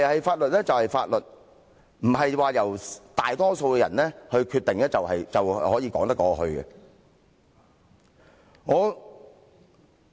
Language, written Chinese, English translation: Cantonese, 法律就是法律，不是由大多數人作決定便說得過去。, The law is the law . It is not a question to be decided by the majority of the public